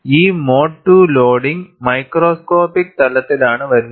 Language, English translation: Malayalam, And, this mode 2 loading comes at the microscopic level